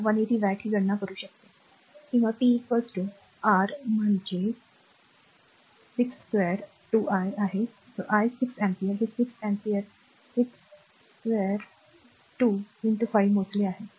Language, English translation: Marathi, So, 180 watt this we can calculate, or p is equal to i square R that is 6 square i is the i is 6 ampere, we have calculated this 6 ampere 6 square into 5